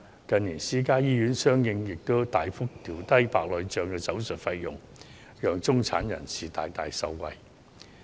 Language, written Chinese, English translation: Cantonese, 近年私營醫院相應大幅調低白內障手術的費用，讓中產人士大大受惠。, In recent years private hospitals have correspondingly made a drastic downward adjustment of the operation fees for cataract surgeries so that the middle class can be greatly benefited